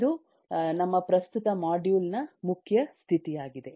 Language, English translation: Kannada, that will be the main state of our current module